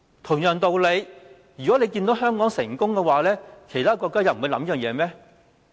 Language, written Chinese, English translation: Cantonese, 同樣道理，如果看到香港成功，其他國家又不會考慮這件事嗎？, Likewise if other countries see that Hong Kong is successful in this business will they not consider snatching our business?